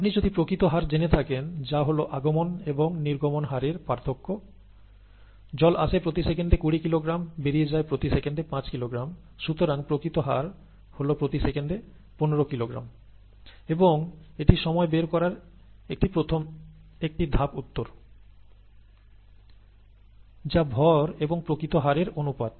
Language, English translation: Bengali, Whereas, if you know the net rate, that is the rate of input minus the rate of output, water is coming in at twenty kilogram per second, going out at five kilogram per second; so the net rate is fifteen kilogram per second, and it is a one step answer to find the time, it is mass by the net rate